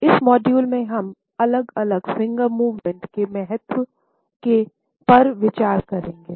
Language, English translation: Hindi, In this module, we would look at the significance of different Finger Movements